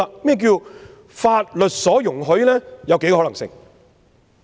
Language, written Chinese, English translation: Cantonese, 何謂法律所容許呢？, What is the meaning of being allowed under the laws?